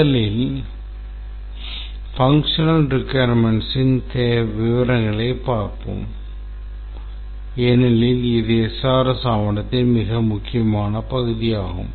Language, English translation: Tamil, First, let's concentrate on the functional requirements because this is the most important part of any SRS document and it forms the bulk of the document